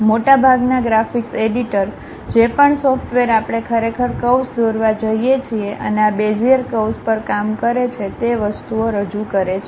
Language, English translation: Gujarati, Most of the graphics editors, the softwares whatever we are going to really draw the curves and render the things works on these Bezier curves